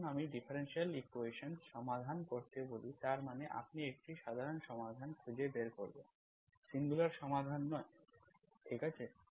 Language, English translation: Bengali, When I say solve the differential equation, I only want you to find general solution of the differential equation, okay, not the singular solutions